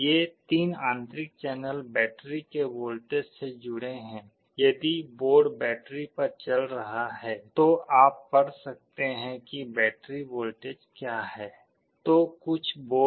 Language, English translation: Hindi, These 3 internal channels are connected to the voltage of the battery; if the board is running on battery you can read what is the battery voltage, then there is a built in temperature sensor in some of the boards